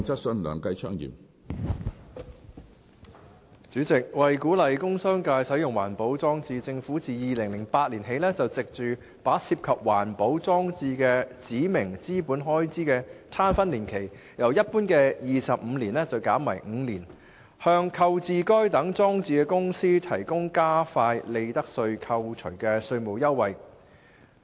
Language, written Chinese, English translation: Cantonese, 主席，為鼓勵工商界使用環保裝置，政府自2008年起藉着把涉及環保裝置的指明資本開支的攤分年期由一般的25年減為5年，向購置該等裝置的公司提供加快利得稅扣除的稅務優惠。, Presidentto encourage the use of environmental protection EP installations in the industrial and commercial sectors the Government has since 2008 been providing tax concessions of accelerated profits tax deductions to companies which have acquired EP installations by shortening the time period for apportionment of specified capital expenditure incurred in relation to such installations from the usual 25 years to five years